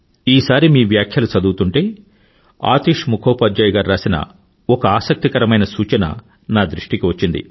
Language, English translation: Telugu, Once while I was going through your comments, I came across an interesting point by AtishMukhopadhyayji